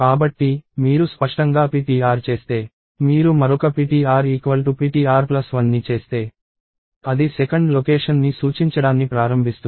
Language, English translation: Telugu, So, clearly you can see that if you do ptr is, if you do another ptr equals ptr plus 1, it will start pointing to the 2th location and so, on